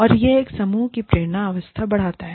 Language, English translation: Hindi, And, it enhances, the team motivation states